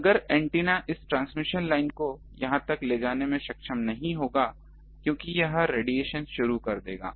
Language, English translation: Hindi, This antenna this transmission line won't be able to take the power here it will start radiating